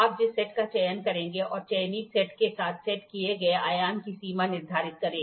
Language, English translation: Hindi, Determine the set you will select and the range of the dimension set with the selected set